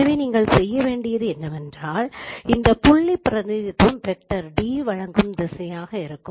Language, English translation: Tamil, So what you need to do simply this representation, this point representation would be if the direction is given by the vector D